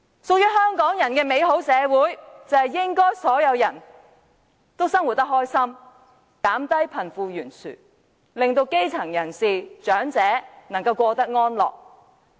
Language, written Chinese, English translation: Cantonese, 屬於香港人的美好社會，就是應該所有人都生活得開心，縮窄貧富懸殊的差距，令基層人士和長者能夠過得安樂。, In an ideal society that belongs to Hong Kong people everyone should live happily the wealth gap should be narrowed and the grass roots and elderly people can live a decent life